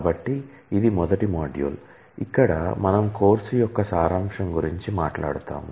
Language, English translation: Telugu, So, this is the first module, where we would talk about the overview of the course